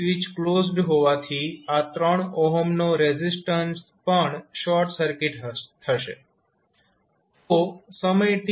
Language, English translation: Gujarati, And since switch was closed this 3 ohm resistance is also short circuited